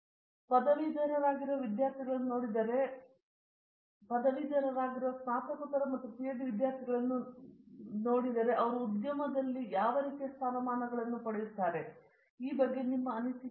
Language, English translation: Kannada, So, if you look at the students that graduate, I mean let’s say masters and PhD students when they graduate, what sort of positions do you see them getting in industry or any other circumstances